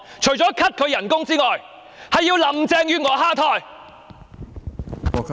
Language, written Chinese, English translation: Cantonese, 除了 cut 她的薪酬之外，還要林鄭月娥下台。, Apart from cutting her emoluments Carrie LAM must step down